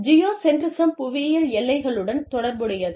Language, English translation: Tamil, Geocentrism is related to, geographical boundaries